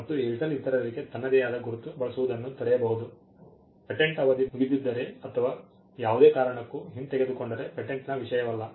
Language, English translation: Kannada, And Airtel can stop others from using its own mark, this is not the case with a patent if the patent is expired or revoke for whatever reason, when everybody can use that acknowledge